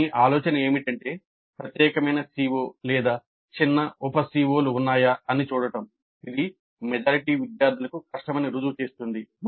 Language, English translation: Telugu, The idea of this is to see if there is any particular COO or a small set of subset of COs which are proving to be difficult for a majority of the students